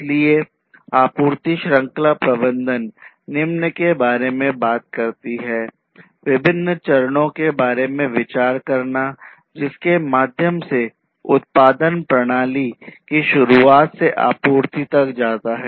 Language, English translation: Hindi, So, supply chain management talks about consideration of the different stages through which the production system starting from the production till the supply goes through